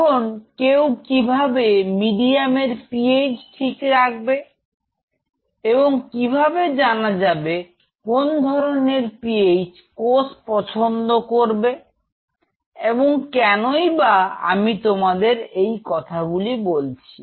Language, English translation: Bengali, Now how one can handle the PH of this medium and how do we know what kind of PHB cells will prefer why I am telling you this